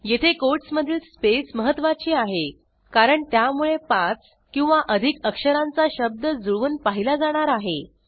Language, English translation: Marathi, Here the space within the quotes is important as it would match 5 or more letter words